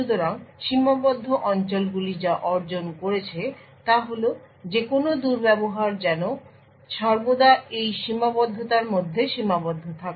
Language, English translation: Bengali, So, what the confined areas achieved was that any misbehavior is always restricted to this confinement